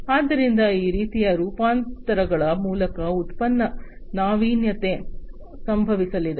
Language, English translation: Kannada, So, product innovation is going to happened through this kind of transformations